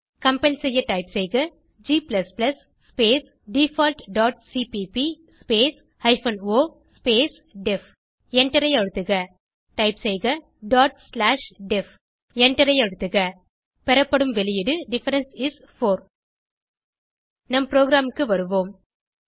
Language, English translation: Tamil, Let us compile type g++ space default dot cpp space hyphen o space def Press Enter Type dot slash def Press Enter The output is return as Difference is 4 Come back to our program